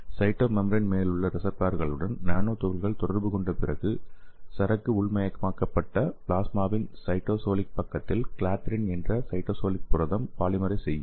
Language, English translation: Tamil, So after nanoparticles interact with the receptors on cytomembrane, a kind of cytosolic protein named clathrin will polymerize on the cytosolic side of the plasma where the cargo is internalized